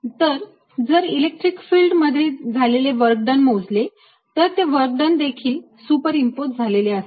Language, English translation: Marathi, so if i calculate the work done in that electric field, that work done can also superimposed